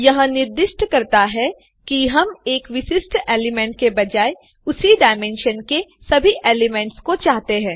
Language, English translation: Hindi, This specifies that we want all the elements of that dimension, instead of just one particular element